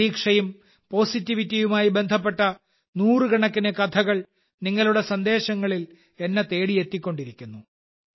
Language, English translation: Malayalam, Hundreds of stories related to hope and positivity keep reaching me in your messages